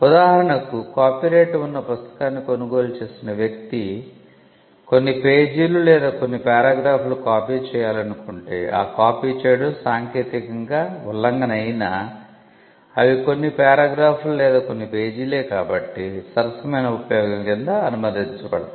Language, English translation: Telugu, For instance, if a person who has purchased a book which is the subject matter of a copyright wants to copy a few pages or a few paragraphs from though copying would amount to an infringement, a few paragraphs or a few pages from a book is allowed under certain statues